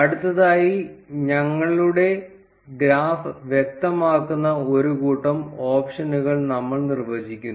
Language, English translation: Malayalam, Next we define a set of options that will specify our graph